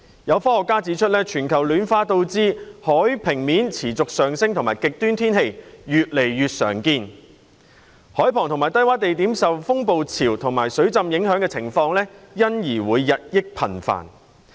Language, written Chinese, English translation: Cantonese, 有科學家指出，全球暖化導致海平面持續上升和極端天氣越來越常見，海旁及低窪地點受風暴潮和水浸影響的情況因而會日益頻繁。, Some scientists have pointed out that global warming has resulted in the sea level rising continuously and extreme weather conditions being increasingly common . As a result occasions of coastal and low - lying locations being affected by storm surges and flooding will become increasingly frequent